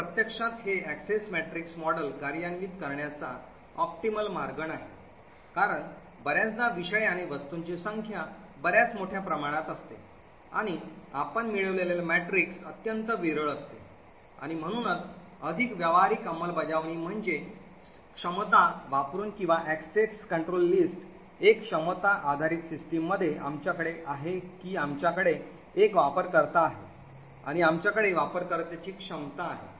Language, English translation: Marathi, So in practice it is not a very optimal way to implement this access matrix model, this is because quite often the number of subjects and objects are quite large and the matrix that we obtain is highly sparse and therefore a more practical implementation is by using capabilities or access control list, in a capability based system what we have is that we have one user and we have the capabilities of the users